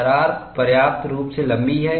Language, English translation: Hindi, The crack is sufficiently long